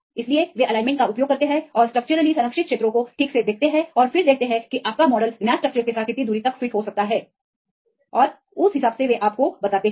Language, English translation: Hindi, So, they use the alignment and see the structurally conserved regions right and then see how far your model can fit with the known structures and accordingly they will tell you ok